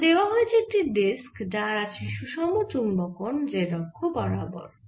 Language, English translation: Bengali, in question number four, we have a disc which has the information magnetization along the z axis